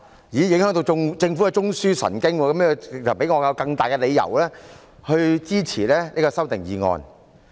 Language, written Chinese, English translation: Cantonese, 原來這樣會影響到政府的中樞神經，這給予我更充分的理由支持這些修訂議案。, I see it will affect the nerve centre of the Government . This gives me an even stronger reason for supporting these amending motions